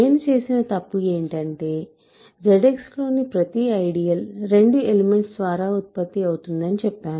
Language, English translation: Telugu, The mistake I made was, when I said that every ideal in Z X is generated by 2 elements